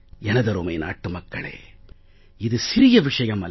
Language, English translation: Tamil, My dear fellow citizens, this is not a small matter